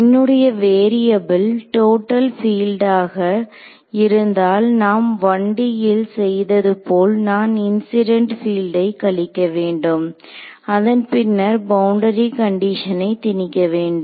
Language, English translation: Tamil, So, if my variable is total field like we are done in the case of 1D I have to subtract of the incident field and then impose the boundary condition right